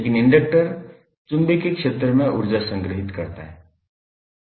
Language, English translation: Hindi, But the inductor store energy in the magnetic field